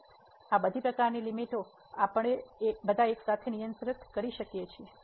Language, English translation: Gujarati, So, all these type of limits we can handle all together